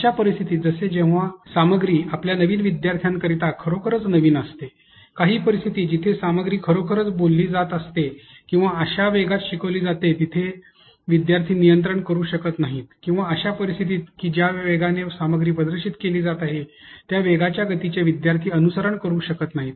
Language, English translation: Marathi, Situations, such as when the content is actually new to your new students or to your learners, but in some situations where probably the content is actually being spoken or being taught at a pace that the learner cannot be able to control or at in situations where the learner cannot be able to follow this this speed at which the content is being displayed